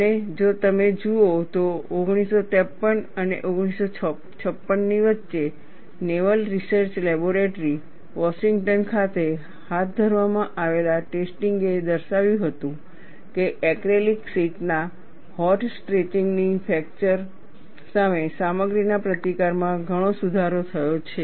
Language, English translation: Gujarati, And it is desirable that, we look at early attempts; and if you look at, between 1953 and 1956, the tests conducted at Naval Research Laboratory, Washington demonstrated that, hot stretching of acrylic sheet has greatly improved the materials resistance to fracture